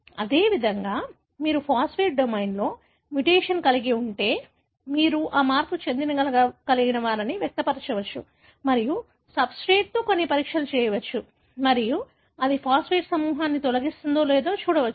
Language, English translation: Telugu, Likewise, if you have mutation in the phosphatase domain, you can express these mutants and do some assays with substrate and see whether it removes the phosphate group